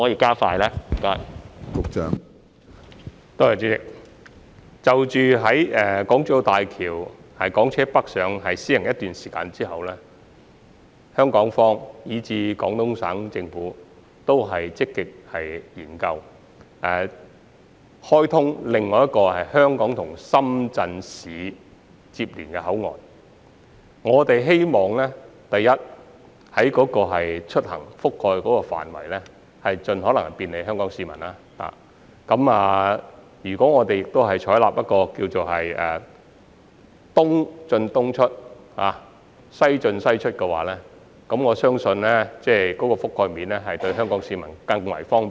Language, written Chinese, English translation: Cantonese, 主席，在大橋實施港車北上計劃一段時間後，香港及廣東省政府均會積極研究開通另一個接連香港與深圳市的口岸，我們希望所涵蓋的出行範圍盡可能便利香港市民，如果我們採納所謂"東進東出、西進西出"的原則，我相信對於香港市民而言，有關的覆蓋面會更為方便。, President both the governments of Hong Kong and Guangdong will proactively study the opening up of another Hong KongShenzhen boundary control point after the Scheme for Hong Kong cars travelling to Guangdong has been operated at HZMB for a period of time . We hope that the travel area covered by the Scheme will bring the greatest possible convenience to Hong Kong people . I believe the relevant coverage will provide greater convenience to Hong Kong people if the so - called principle of East - in - East - out West - in - West - out is adopted